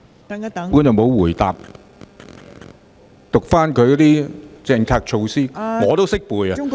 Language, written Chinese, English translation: Cantonese, 局長沒有回答，只是讀出政策措施，我也懂得唸出來......, The Secretary has not answered my supplementary question . He has only read out the policy initiative . I can recite it myself